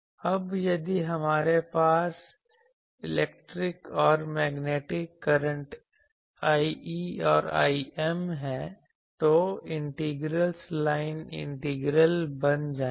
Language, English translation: Hindi, Now, if we have electric and magnetic currents I e and I m, then the integrals will become line integrals